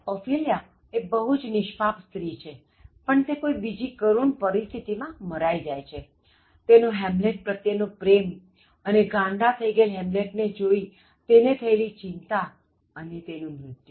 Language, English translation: Gujarati, So, Ophelia is a very innocent woman, but she is killed because of another tragic situation her love for Hamlet and then Hamlet appears to have become mad and then that worries her and then she dies